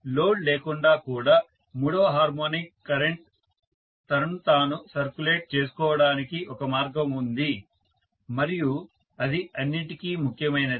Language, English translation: Telugu, Even without load there is a path for the third harmonic current to circulate itself and that is all that matters